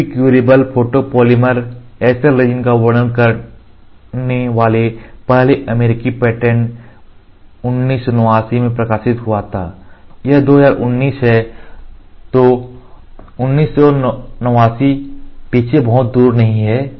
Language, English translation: Hindi, UV curable photopolymers in the first US patent describing SL resin published in 1989 it is not very far behind 89 now it is 2019